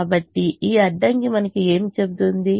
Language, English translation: Telugu, so what does this constraint tell us